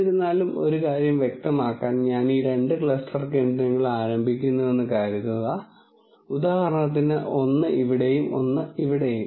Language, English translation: Malayalam, However, if just to make this point, supposing I start these two cluster centres for example, one here and one somewhere here